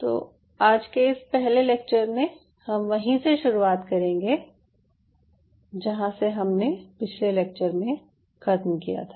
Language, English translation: Hindi, so the first lecture today we will be follow up on what we finished in the last class